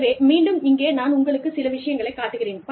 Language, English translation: Tamil, So again, let me show you, the couple of things, here